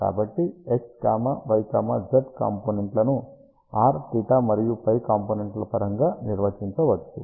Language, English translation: Telugu, So, that is how x, y, z components can be defined in terms of r, theta and phi component